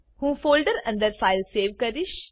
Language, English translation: Gujarati, We will save the file inside this folder